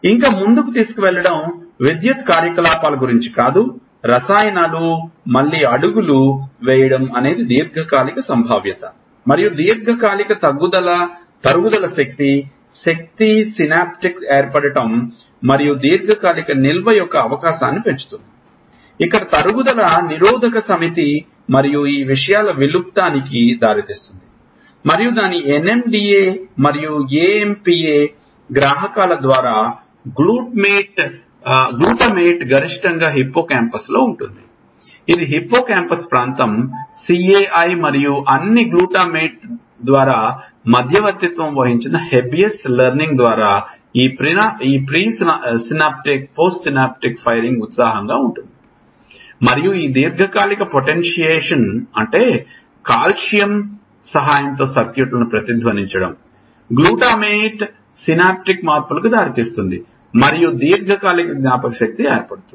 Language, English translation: Telugu, But taking it further it is not about electrical activity the chemicals switching again steps in there is something called long term potential and long term depreciation potentiating, potentiates, the synaptic formation and the increases the possibility of long term storage, where is depreciation inhibit set and leads to extinction of these things and the neuro chemical which is held responsible is glutamate through its N M D A and A M P A receptors maximally, present in hippocampus, this is a hippocampus area CA1 and all